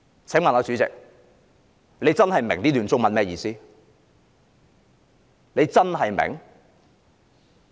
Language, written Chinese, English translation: Cantonese, "請問主席是否真的明白這段中文的意思呢？, President do you really understand the meaning of these Chinese remarks may I ask?